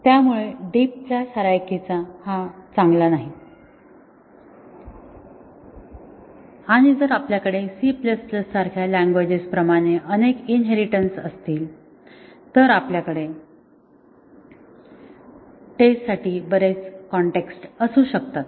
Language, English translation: Marathi, So, a deep class hierarchy is not good and also if we have multiple inheritances as in a language such as C++, then we might have too many contexts to test